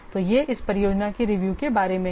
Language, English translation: Hindi, Then we will see about the project review